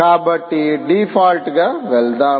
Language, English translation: Telugu, so lets move on default